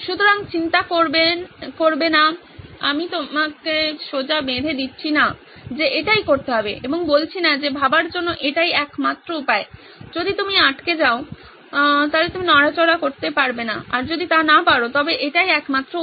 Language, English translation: Bengali, So worry not, I am not straight jacketing you and saying this is the only way to think, this is the only way to go if you are stuck, if you cannot move